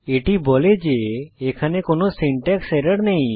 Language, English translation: Bengali, This tells us that there is no syntax error